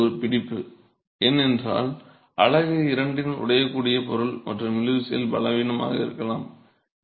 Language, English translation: Tamil, Now that's a catch because unit is the brittle material of the two and could be weak in tension